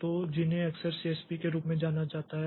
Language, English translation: Hindi, So, which are often known as CSP, so which are often known as CSP